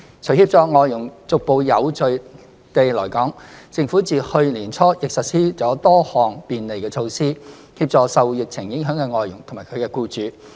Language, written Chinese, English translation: Cantonese, 除協助外傭逐步有序地來港，政府自去年年初亦實施了多項便利措施，協助受疫情影響的外傭及其僱主。, Apart from facilitating FDHs to come to Hong Kong in a gradual and orderly manner the Government has implemented various flexibility measures since early 2020 to assist FDHs and their employers to cope with the COVID - 19 pandemic